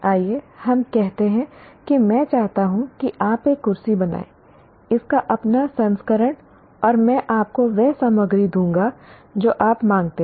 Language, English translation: Hindi, If you look at, let's say I want you to make a chair, your own version of the chair, and I will give you the materials